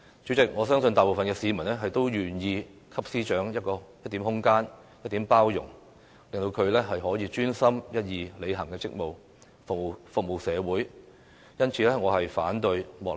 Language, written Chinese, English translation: Cantonese, 主席，我相信大部分市民，都願意給司長一點空間、一點包容，令她可以專心一意履行職務，服務社會。, President I believe that most members of the public are willing to give room to and show more tolerance towards the Secretary for Justice so that she will be able to concentrate on discharging her duties and serving the community